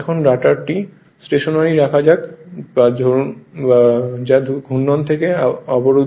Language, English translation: Bengali, Now let the rotor be now held stationery that is blocked from rotation